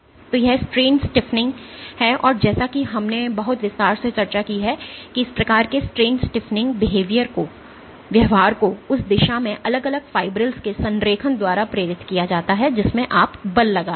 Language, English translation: Hindi, So, this is strain stiffening and as we discussed in great detail this kind of strain stiffening behaviour is induced by alignment of the individual fibrils in the direction in which you are exerting the force